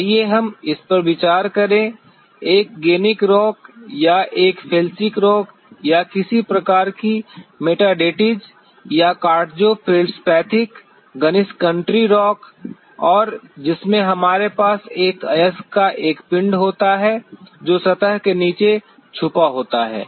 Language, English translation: Hindi, Let us consider this a gneissic rock or a felsic rock or some kind of a metasediments or quartzo feldspathic gneiss country rock and in which we have a body of an ore which is concealed below the surface